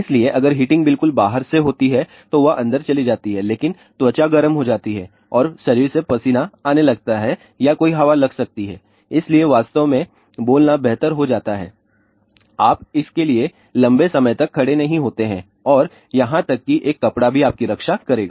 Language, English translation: Hindi, So, the heating if at all takes place that is from outside then it goes inside, but that skin heating takes place and the body start sweating or there may be a breeze so, it really speaking becomes better of course, you do not stand for a long time and even a cloth will protect you from that